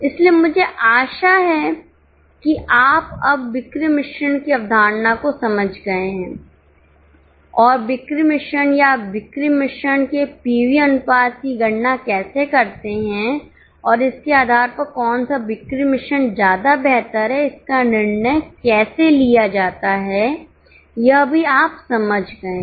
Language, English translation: Hindi, Okay, so I hope you have understood now the concept of sales mix and how you calculate BEP of the sales mix or pv ratio of sales mix and based on that how to take decision on which sales mix is superior